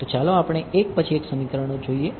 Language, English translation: Gujarati, So, let us deal with the equations 1 by 1